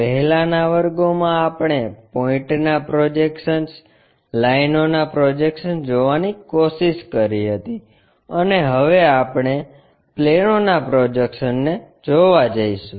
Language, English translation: Gujarati, Earlier classes we try to look at projection of points, prediction of lines and now we are going to look at projection of planes